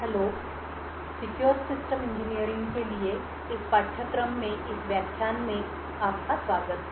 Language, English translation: Hindi, Hello and welcome to this lecture in a course for Secure Systems Engineering